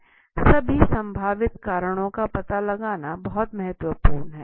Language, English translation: Hindi, It is important to determine all possible causes